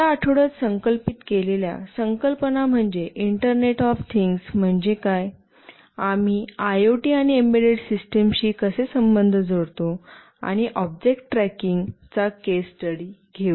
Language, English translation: Marathi, The concepts that will be covered in this week is what is internet of things, how we relate IoT and embedded systems, and we shall take a case study of object tracking